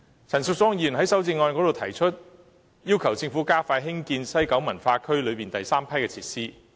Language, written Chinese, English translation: Cantonese, 陳淑莊議員在修正案中要求政府加快興建西九文化區內第三批設施。, Ms Tanya CHANs amendment requests the Government to expedite the construction of the third batch of facilities in the West Kowloon Cultural District WKCD